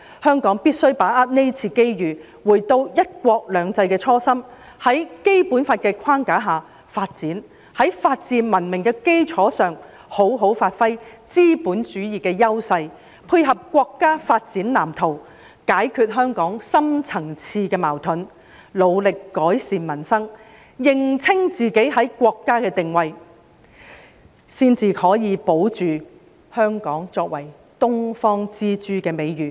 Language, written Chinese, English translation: Cantonese, 香港必須把握這次機遇，回到"一國兩制"的初心，在《基本法》的框架下發展，在法治文明的基礎上，好好發揮資本主義的優勢，配合國家發展藍圖，解決香港深層次的矛盾，努力改善民生，認清自己在國家的定位，才可以保住香港作為"東方之珠"的美譽。, Hong Kong must seize this opportunity to stay true to the original aspiration in implementing the principle of one country two systems . We should pursue development within the framework of the Basic Law give full play to the advantages of capitalism on the foundation of the rule of law and a civilized society support the development blueprint of the State resolve the deep - seated conflicts in Hong Kong endeavour to improve peoples livelihood and see clearly our position in the country so that we can maintain Hong Kongs reputation as the Pearl of the Orient